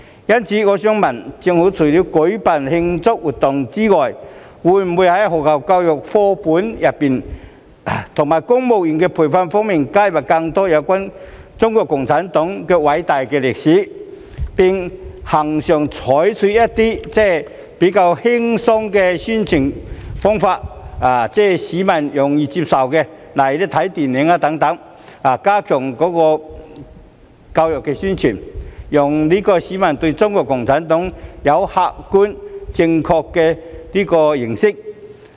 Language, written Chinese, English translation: Cantonese, 因此，我想問局長，政府除了舉辦慶祝活動外，會否在學校課本和公務員培訓加入更多有關中國共產黨的偉大歷史，並恆常地採用較易為市民接受的輕鬆宣傳方法來加強教育宣傳，讓市民對中國共產黨有客觀正確的認識？, In view of this I would like to ask the Secretary Apart from organizing celebration activities will the Government include more information on the great history of CPC in school textbooks and civil service training as well as strengthening education and publicity constantly by way of entertaining promotional activities which are more acceptable to members of the public such as film shows so as to give them an objective and correct understanding of CPC?